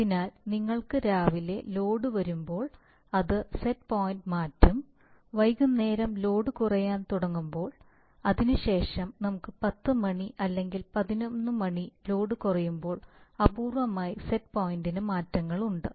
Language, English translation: Malayalam, So when you will have load coming in the morning it set point will be changed, when lighting load in the evening will start going down, after let us say 10 o'clock or 11o'clock load will fall at that time you have to reduce the set point